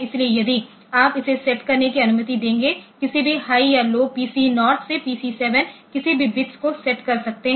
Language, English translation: Hindi, So, if you it will allow you to set allow you to set the high or low any of the PC 0 to PC 7 bits